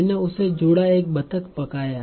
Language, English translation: Hindi, So I cooked a duck for her